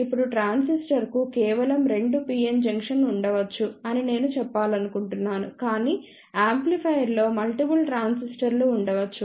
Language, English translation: Telugu, Now, just I want to mention that a transistor may have just two pn junction, but an amplifier may have multiple transistors